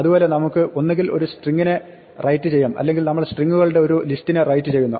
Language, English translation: Malayalam, Similarly, we can either write a string or we write a list of strings too